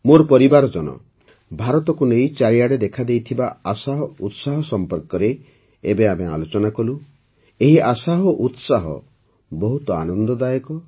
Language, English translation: Odia, My family members, we just discussed the hope and enthusiasm about India that pervades everywhere this hope and expectation is very good